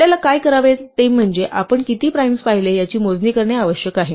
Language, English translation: Marathi, So, what we need to do is we need to keep a count of how many primes we have seen